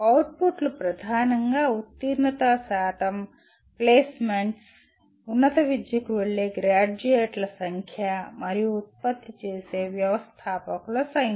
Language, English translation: Telugu, Outputs are mainly pass percentages, placements, number of graduates going for higher education and the number of entrepreneurs produced